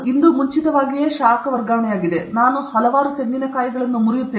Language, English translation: Kannada, today is advance heat transfer; so many coconuts I will break